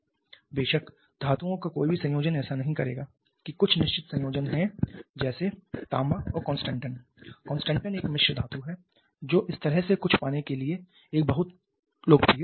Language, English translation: Hindi, Of course any combination of metals will not do there are certain combinations like copper and constantan is a constant and is an alloy there is a very popular combination to get something like this